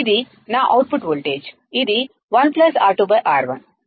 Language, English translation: Telugu, This is my output voltage, which is 1 plus R2 by R1